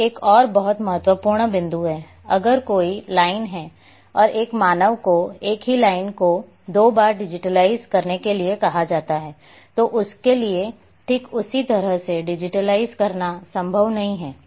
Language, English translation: Hindi, This is another very important point, that no human if there is an arbitrary line and a human is asked to digitize the same line twice then it is not a possible for him to digitize exactly the same way